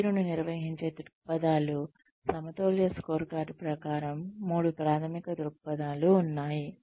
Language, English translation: Telugu, Perspectives of managing performance, according to the balanced scorecard, there are three primary perspectives